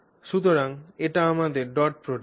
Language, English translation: Bengali, So, this is our dot product